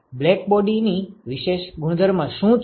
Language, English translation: Gujarati, What is the special property of blackbody